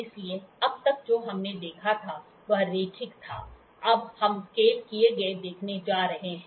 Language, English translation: Hindi, So, till now what we saw was we saw linear, now we are going to see scaled